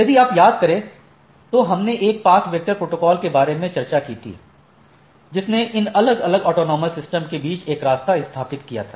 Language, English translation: Hindi, If you recollect, so we talked about a path vector protocol which established a path between these different autonomous systems right